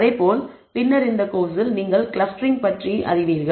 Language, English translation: Tamil, Similarly, later on in this course you will come across clustering